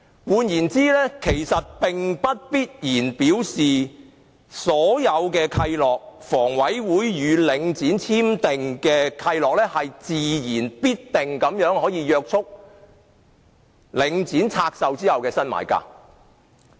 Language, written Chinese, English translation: Cantonese, 換言之，其實並不必然表示所有契諾，如房委會與領展簽訂的契諾，自然必定約束領展拆售後的新買家。, In other words it does not necessarily imply that all covenants such as the one signed between HA and Link REIT must naturally be binding on the new buyers of assets divested by Link REIT